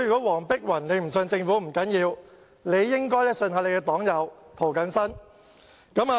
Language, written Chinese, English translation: Cantonese, 黃碧雲議員不相信政府不要緊，但也應該相信她的黨友涂謹申議員。, It does not matter if Dr Helena WONG does not trust the Government but she should trust her fellow party member Mr James TO